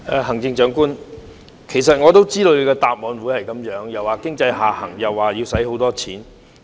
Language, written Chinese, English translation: Cantonese, 行政長官，其實我也知道你的答覆會是這樣，說經濟下行，又說要花很多錢。, Chief Executive I actually know how you would answer talking about the economic downturn and the huge amount of expenditure